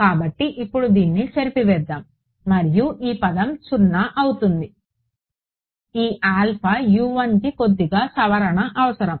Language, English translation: Telugu, So, let us erase this one now this 0 term is correct this alpha U 1 is slight needs a little bit from modification ok